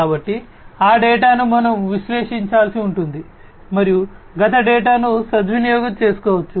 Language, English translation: Telugu, So, that data we will have to be analyzed and one can take advantage of the past data